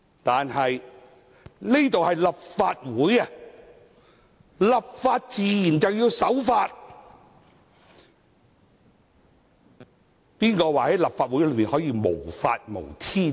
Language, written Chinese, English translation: Cantonese, 但是，這裏是立法會，立法自然要守法，誰說在立法會內可以無法無天呢？, However here in this Legislative Council where legislation is enacted it should naturally abide by the law . Who says that we can be above the law in this Council?